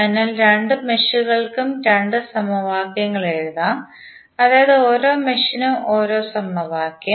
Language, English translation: Malayalam, So, we can write two equations for both of the meshes one for each mesh